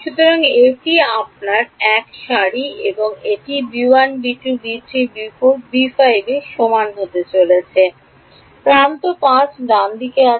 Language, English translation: Bengali, So, this is your one row and this is going to be equal to b 1 b 2 b 3 b 4 b 5